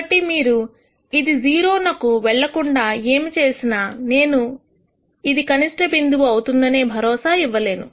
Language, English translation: Telugu, So, whatever you do unless this goes to 0, I cannot ensure that this is a minimum point